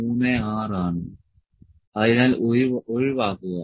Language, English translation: Malayalam, 36, so skip